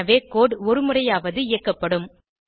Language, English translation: Tamil, So, the code will be executed at least once